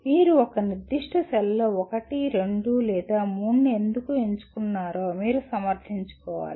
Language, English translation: Telugu, You have to justify why you chose 1, 2 or 3 in a particular cell